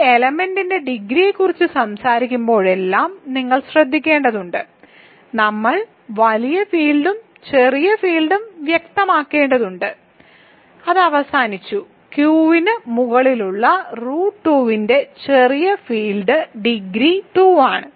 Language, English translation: Malayalam, So, you have to be careful every time you talk about degree of an element, we have to specify the bigger field and the smaller field and it is over the smaller field degree of root 2 over Q is 2